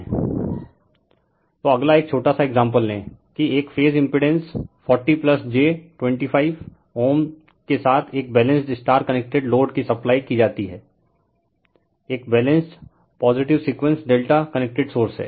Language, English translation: Hindi, So, next you take one small example that a balanced star connected load with a phase impedance 40 plus j 25 ohm is supplied by a balanced, positive sequence delta connected source